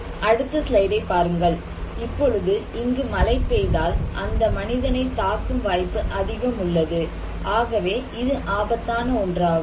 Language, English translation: Tamil, Now, look at the next slide, so if there is a rain then, there is a possibility that this stone would hit this person so yes, we consider this is as risky